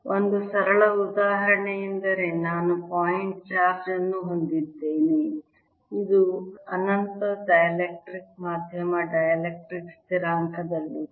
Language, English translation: Kannada, a simplest example would be: i have a point charge which is an infinite dielectric medium of dielectric constant